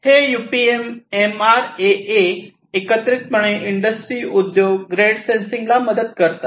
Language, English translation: Marathi, So, these UPM MRAA etc together they help in supporting industry grade sensing